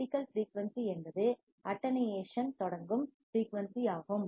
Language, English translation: Tamil, Critical frequency is the frequency at which the attenuation starts